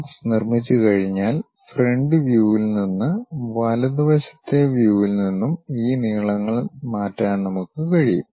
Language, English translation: Malayalam, Once box is constructed, we can transfer these lengths from the front view and also from the right side view